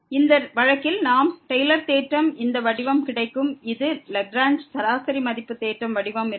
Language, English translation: Tamil, And in this case we get this form of the Taylor’s theorem which was which was the Lagrange form mean value theorem